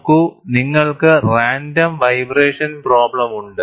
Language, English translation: Malayalam, See, you have random vibration problem